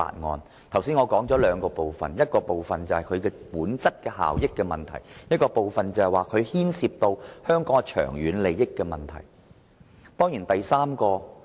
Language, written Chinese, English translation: Cantonese, 我剛才指出了兩部分，一部分是本身效益的問題，另一部分牽涉香港長遠利益的問題。, I pointed out two parts just now . One part was about efficiency and the other part concerned Hong Kongs long - term interests